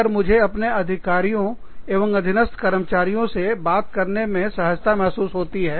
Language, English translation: Hindi, If i feel comfortable, speaking to my superiors and subordinates